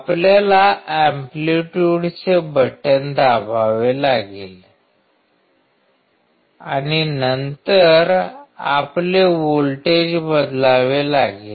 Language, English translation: Marathi, Voltage you have to press the amplitude button and then change your voltage